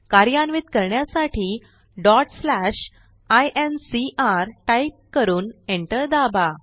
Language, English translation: Marathi, To execute Type ./ incr.Press Enter